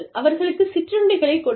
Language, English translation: Tamil, Offer them, snacks